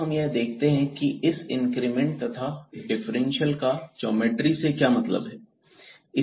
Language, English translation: Hindi, Now, we will see here what do we mean by this increment and this differential in terms of the geometry